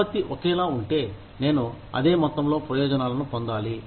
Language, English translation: Telugu, If the output is the same, then, i should get the same amount of benefits